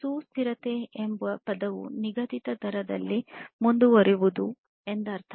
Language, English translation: Kannada, So, the term sustainability means to continue at a fixed rate